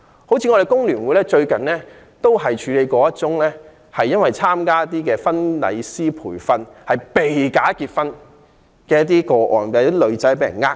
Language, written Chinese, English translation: Cantonese, 香港工會聯合會最近便處理了一宗因為參加婚禮師培訓課程而"被假結婚"的個案，有女士被騙。, The Hong Kong Federation of Trade Unions has recently handled a case in which a woman who joined a wedding planner training course was cheated and dragged into a bogus marriage